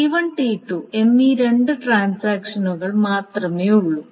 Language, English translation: Malayalam, So, there are only two transactions, T1 and T2